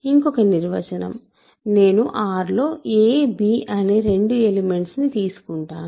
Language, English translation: Telugu, One more definition, we say that two elements a, b in R